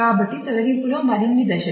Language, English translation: Telugu, So, more steps in the deletion